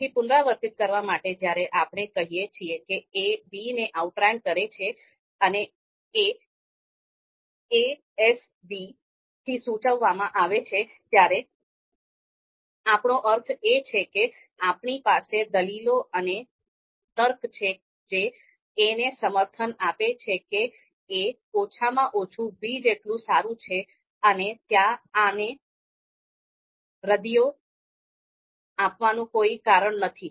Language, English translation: Gujarati, So to to you know you know again to reiterate it to reiterate it again when we say that a outranks b denoted by a S b, what we mean that we have you know you know arguments and you know logic to support that a is at least as good as b and there are no reasons to refute this